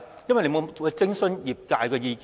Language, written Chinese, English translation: Cantonese, 因為他沒有諮詢業界的意見。, Why? . Because he did not consult the industry